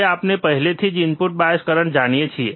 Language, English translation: Gujarati, Now we already know input bias current